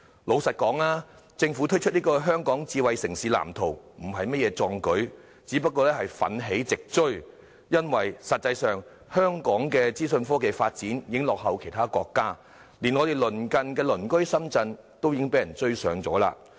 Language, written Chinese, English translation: Cantonese, 老實說，政府推出《香港智慧城市藍圖》並非甚麼壯舉，只是奮起直追，因為實際上，香港的資訊科技發展已經落後其他國家，連鄰近的深圳亦已追上我們。, Honestly the Blueprint unveiled by the Government should not be regarded as a feat . It is just taking steps to catch up because Hong Kongs IT development has actually lagged far behind other countries . Even Shenzhen our neighbour has already caught up with us